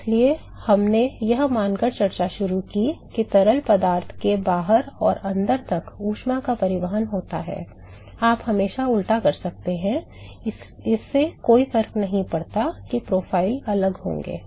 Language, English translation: Hindi, So, we started the discussion by assuming that there is heat transport from the outside to the inside of the fluid, you can always do the reverse it does not matter the profiles will be different